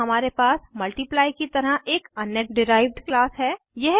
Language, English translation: Hindi, Now we have another derived class as Multiply